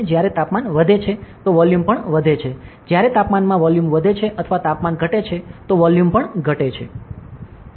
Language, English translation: Gujarati, So, when the temperature increases volume also increases, when temperature increases volume increases or temperature decreases, volume decreases